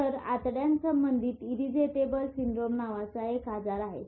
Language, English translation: Marathi, So, there is a illness called irritable bowel syndrome